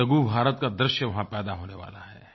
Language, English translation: Hindi, A miniIndia will be created there